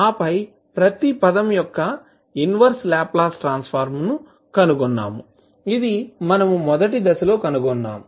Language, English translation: Telugu, And then we find the inverse Laplace transform of each term, which we have found in the first step